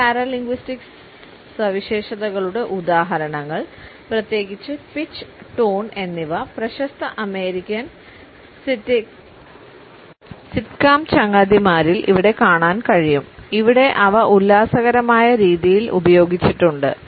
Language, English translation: Malayalam, Examples of these paralinguistic features particularly pitch and tone in the famous American sitcom friends can be viewed where they have been used in a hilarious manner